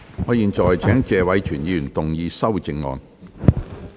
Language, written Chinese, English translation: Cantonese, 我現在請謝偉銓議員動議修正案。, I now call upon Mr Tony TSE to move an amendment